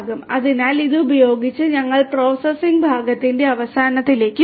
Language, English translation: Malayalam, So, with this we come to an end of the processing part and